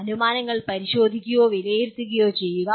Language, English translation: Malayalam, Examining or evaluating assumptions